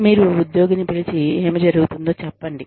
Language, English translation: Telugu, You call the employee, and say, what is going on